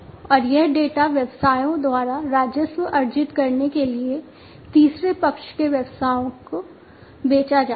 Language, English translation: Hindi, And this data is sold by the businesses to the third party businesses to earn revenue